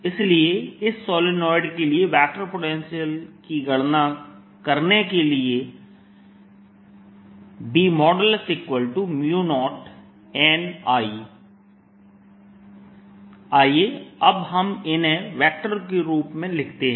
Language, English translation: Hindi, so to calculate the vector potential for this solenoid, let us now write these in terms of vectors